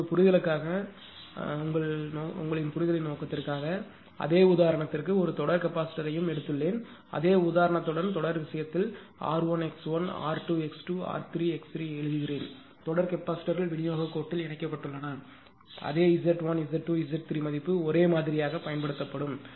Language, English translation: Tamil, Now with for the same example just for the purpose of your understanding, what I will do for the same example I have taken a series capacitor also and in the case of series with the same example I have written r 1, x1, r 2, x 2, r 3, x 3 just to show that series capacitors somewhere in distribution line connected, but same Z 1, Z 2, Z 3 value will be used identical thing